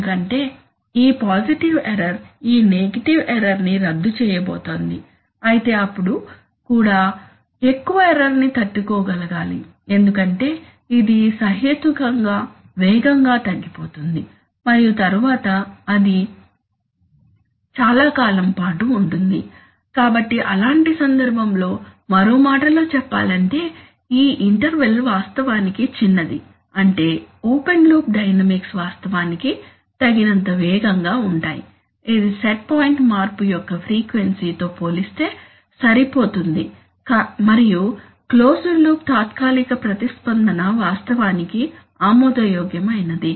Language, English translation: Telugu, Because this positive error is going to cancel this negative error, but even then I am able to tolerate this much of error because it is going to die down reasonably fast for me and then it will stay on for a long, long time, right, so in such a case, so in other words the this interval is actually small which means that the open loop dynamics actually fast enough, it is fast enough compared to what, compared to the frequency of set point change and so that the closed loop transient response is actually acceptable